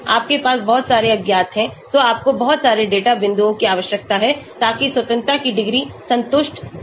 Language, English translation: Hindi, You have so many unknowns so you need to have a lot of data points so that the degree of freedom is satisfied